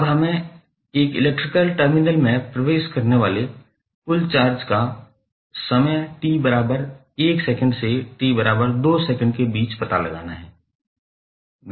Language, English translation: Hindi, And now to find out the total charge entering in an electrical terminal between time t=1 second to t=2 second